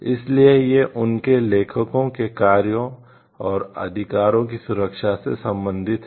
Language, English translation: Hindi, So, it deals with the protection of the works and rights of their authors